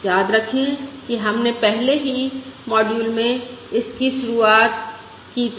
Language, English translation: Hindi, Remember, we started in the very first module itself